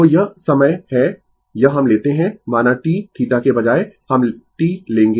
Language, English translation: Hindi, So, this is the time this we will take say T instead of theta we will take T right